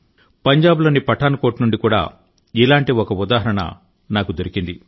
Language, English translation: Telugu, I have come to know of a similar example from Pathankot, Punjab